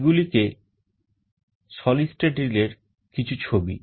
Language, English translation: Bengali, These are some of the pictures of solid state relays